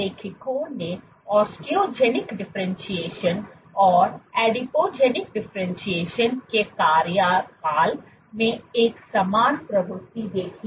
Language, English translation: Hindi, You observe the authors observed a similar trend osteogenic differentiation Adipogenic differentiation